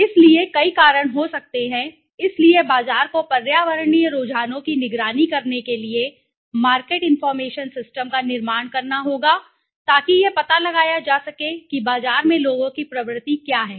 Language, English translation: Hindi, So, there could be several reasons, so the market has to build a market information system to monitor the environmental trends to check what the trend in the market how what are people buying